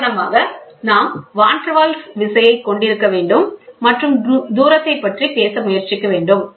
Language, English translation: Tamil, For example, we must have the Van der Waals force and try to talk about the distance